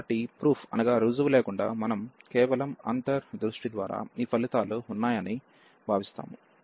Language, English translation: Telugu, So, without the proof we can just by intuition, we can feel that these results hold